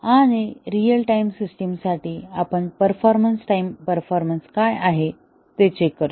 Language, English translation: Marathi, And for a real time system, we check what is the performance, time performance